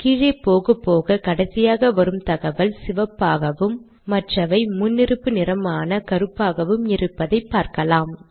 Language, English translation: Tamil, As I go down you see that the latest information is in red all others are in the default color namely black